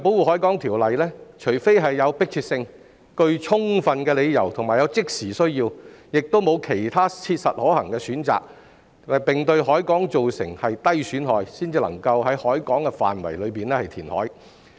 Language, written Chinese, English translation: Cantonese, 根據《條例》，除非有迫切性、具充分理由及有即時需要，以及沒有其他切實可行的選擇，並對海港造成低損害，才能夠在海港範圍內填海。, According to the Ordinance reclamation can be carried out in the harbour only if there is a compelling overriding and present need; there is no viable alternative; and there would be minimum impairment to the harbour